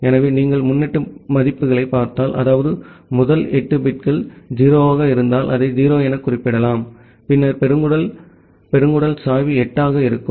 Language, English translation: Tamil, So, if you look into the prefix values; that means, if the first 8 bits are 0’s we can represent it as 0 then colon colon slash 8